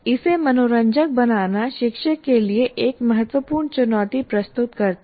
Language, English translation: Hindi, So obviously to make it interesting presents a great challenge to the teacher